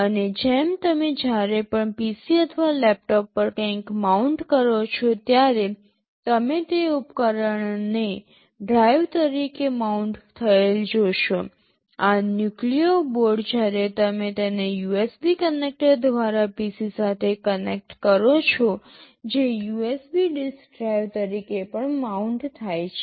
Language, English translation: Gujarati, And, just like whenever you mount something on a PC or laptop you see that device mounted as a drive, this nucleo board also when you connect it to a PC through USB connector which also gets mounted as a USB disk drive